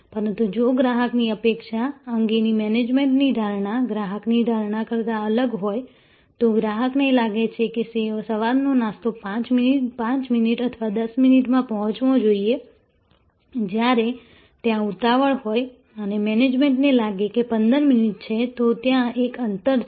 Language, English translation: Gujarati, But, if that management perception of customer expectation is different from what the customer, the customer feels that the breakfast must be delivered in 5 minutes or 10 minutes in the morning, when there in hurry and a management feels that 15 minutes is, then there is a gap